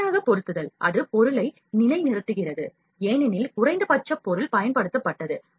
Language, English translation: Tamil, Auto positioning, auto positioning, it will position the object so, as the least material is used